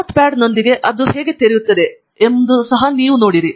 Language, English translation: Kannada, You can open it with Notepad to see how it looks like